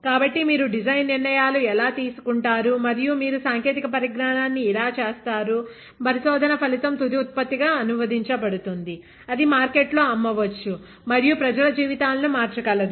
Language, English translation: Telugu, So, that is how you would make design decisions and that is how you make a technology, a research outcome translatable into a final product; that can be sold in the market and can change lives of people